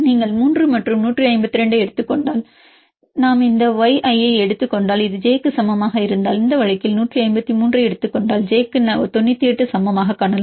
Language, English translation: Tamil, If you take a 3 and 152 and if we take that y if this i, if this equal to j then you can see j equal to 98 from if you take this one 153 in this case ij, i minus j this equal to 1